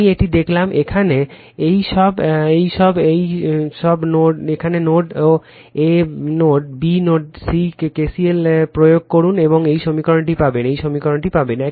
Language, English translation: Bengali, I showed you one, here is all these all these your here at node A node B node C you apply KCL and you will get this equation, your right you will get this equation